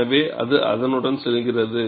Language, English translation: Tamil, So, it goes with that